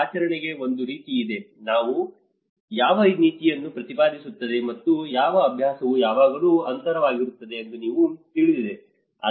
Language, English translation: Kannada, There is a policy to practice; you know what policy advocates and what practice perceives it is always a gap